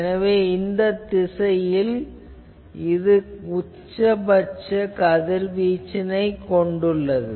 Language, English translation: Tamil, So, in that direction, it has the maximum radiation